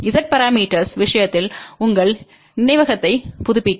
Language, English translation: Tamil, In case of Z parameters just to refresh your memory